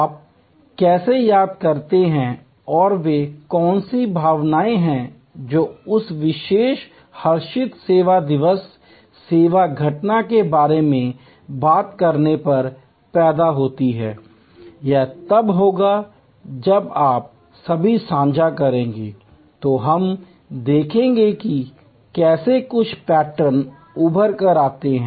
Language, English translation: Hindi, How do you recall and what are the emotions that are evoked when you thing about that particular joyful service day, service occurrence, it will be could if you all share then we will see how certain patterns emerge